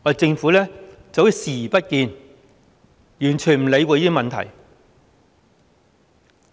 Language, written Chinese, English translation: Cantonese, 政府視若無睹，完全不理會這些問題。, The Government has turned a complete blind eye to these problems